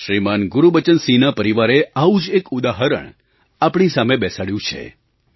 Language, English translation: Gujarati, ShrimanGurbachan Singh ji's family has presented one such example before us